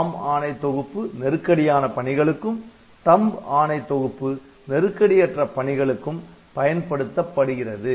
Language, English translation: Tamil, ARM instruction sets will be for critical operations and THUMB instruction set will be for non critical operations